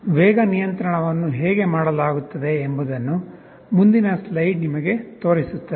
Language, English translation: Kannada, The next slide actually shows you how the speed control is done